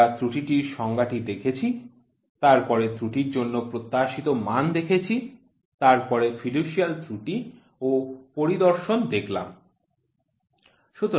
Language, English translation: Bengali, So, we saw the definition for error, then expectation, fiducial error and inspection